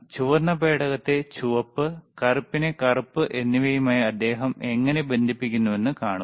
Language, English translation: Malayalam, Again, sSee how he is connecting red probe red one to red and black one to black, red to red black to black